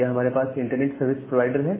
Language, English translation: Hindi, So, here we have the internet service providers